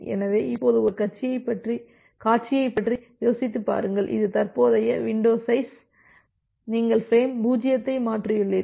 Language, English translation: Tamil, So, if that is the case now think of a scenario when you have you this is your current window size you have transferred frame 0